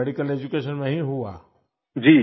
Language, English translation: Hindi, Your medical education took place there